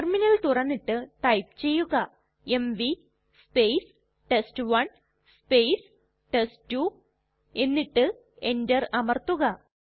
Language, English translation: Malayalam, We open the terminal and type $ mv test1 test2 and press enter